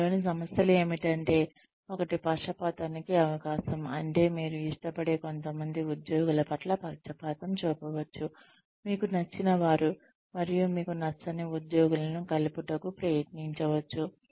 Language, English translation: Telugu, The problems in this are, one is a possibility of bias, which means that, you may get biased towards certain employees, who you like, and may try to weed out employees, that you do not like, so well